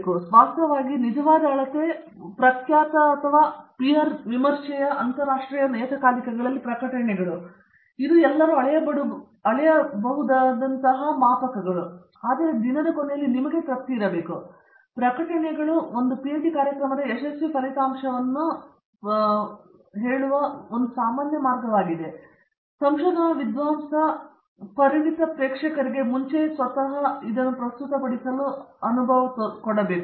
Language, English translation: Kannada, And of course, as you said the actual measure will be publications in reputed and in peer reviewed international journals, I think that’s a usual way of accessing successful outcome of a PhD program, that must be there to and also this research scholar must be able to present himself or herself before expert audience